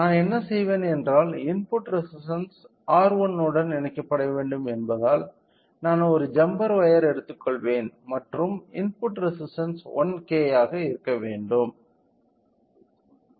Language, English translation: Tamil, So, what I will do is that since the input has to be connected to the R 1 resistance so, I will take a jumper and input resistance should be 1K